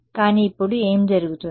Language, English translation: Telugu, But now what happens